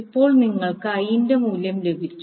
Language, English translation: Malayalam, So now you got the value of I